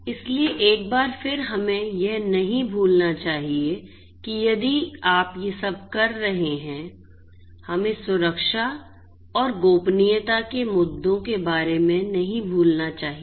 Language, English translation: Hindi, So, once again we should not forget that if you are doing all of these things we should not forget about the security and the privacy issues